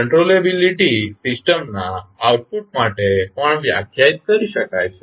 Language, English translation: Gujarati, Now, controllability can also be defined for the outputs of the system